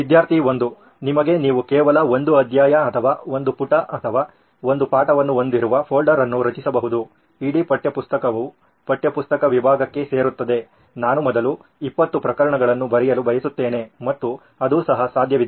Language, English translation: Kannada, Up to you, you can create a folder which has only one chapter or one page or one lesson, entire textbook would be into the textbook section, like I want to write 20 cases first and that is also possible